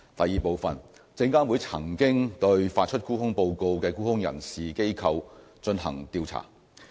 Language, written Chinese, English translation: Cantonese, 二證監會曾經對發出沽空報告的沽空人士/機構進行調查。, 2 SFC has conducted investigations into short sellers who issued short seller reports